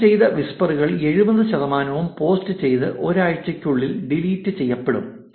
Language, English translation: Malayalam, 70 percent of the deleted whispers are deleted within one week after posting